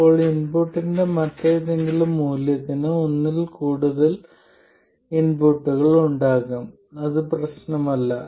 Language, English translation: Malayalam, Then for any other value of the input, there can be more than one input, it doesn't matter